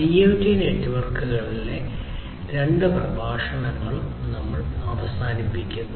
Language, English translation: Malayalam, With this we come to an end of both the lectures on IoT networks